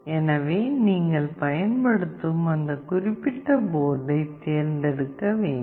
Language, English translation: Tamil, So, whatever board you are using you have to select that particular board